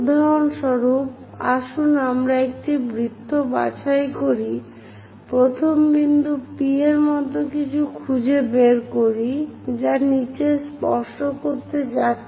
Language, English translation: Bengali, So, if we are taking a circle, for example, let us pick a circle, locate the first point something like P which is going to touch the bottom